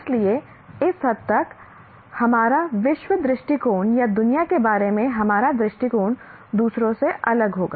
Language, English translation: Hindi, So to their extent our world view or our view of the world will be different from the others